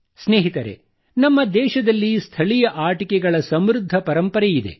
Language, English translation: Kannada, Friends, there has been a rich tradition of local toys in our country